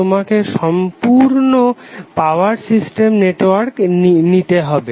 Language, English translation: Bengali, you have to take the complete power system network